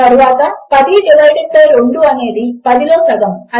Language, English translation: Telugu, Next, 10 divided by 2 is just half of 10 which is 5